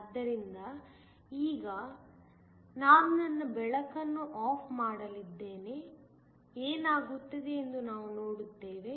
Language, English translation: Kannada, So, now I am going to turn off my light, we will see what happens